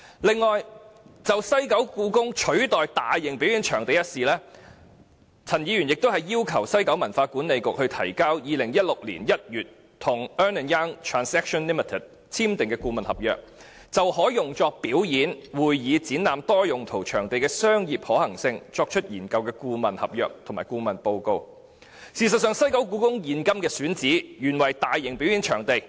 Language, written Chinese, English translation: Cantonese, 此外，就故宮館取代大型表演場地一事，陳議員亦要求政府就西九管理局於2016年1月與 Ernst & Young Transactions Limited 簽訂的顧問合約，就可用作表演、會議、展覽的多用途場地的商業可行性作出研究，提交相關顧問合約及顧問報告。事實上，故宮館現今的選址原為大型表演場地。, On the replacement of a Mega Performance Venue MPV by HKPM given that WKCDA entered into a consultancy contract with Ernst Young Transactions Limited in January 2016 regarding a commercial viability study of developing a multi - purpose venue to be used for performance meeting and exhibition purposes Ms CHAN has also requested the Government to produce the relevant consultancy contract and consultancy report